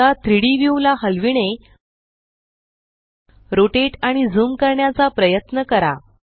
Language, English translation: Marathi, Now try to pan, rotate and zoom the 3D view